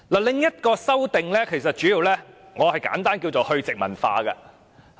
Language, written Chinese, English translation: Cantonese, 另一項修訂，我簡單稱為"去殖民化"的修訂。, There is another amendment which I will simply call a decolonization amendment